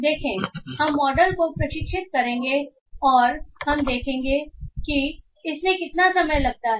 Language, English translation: Hindi, So we will train the model and let's see how much time it takes